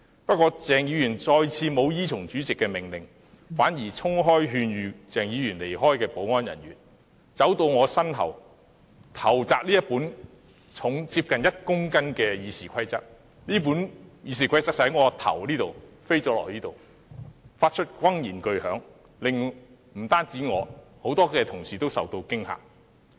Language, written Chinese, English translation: Cantonese, 不過，鄭議員再次沒有依從主席的命令，反而衝開勸諭他離開的保安人員，走到我身後投擲這本重量接近1公斤的《議事規則》，而那本《議事規則》便從我頭上這裏飛到那裏，發出轟然巨響，不單令我受驚，多位同事也同樣受驚。, However Dr CHENG had again failed to comply with the Presidents order instead he pushed aside the security personnel who advised him to leave . He ran to the back of my seat and threw a copy of the Rules of Procedure which weighs about 1 kg . The copy of the Rules of Procedure was thrown from this side of my head to that side causing an extremely loud sound which had not only scared me but also scared many colleagues